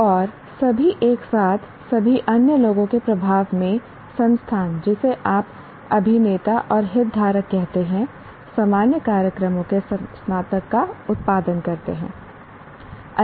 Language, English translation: Hindi, And altogether the institution under the influence of all the others, what do you call, actors and stakeholders, produce graduates of general programs